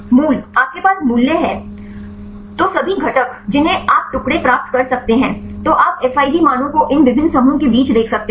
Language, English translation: Hindi, The core you have the values then all the constituents you can get the fragments; then the you can get the Fij values look among these different groups